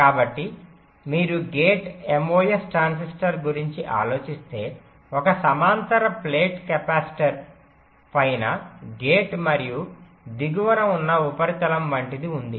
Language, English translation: Telugu, so if you thing about the gate mos transistor, there is a that looks like a parallel plate capacitor gate on top and the substrate at bottom substrate is normally grounded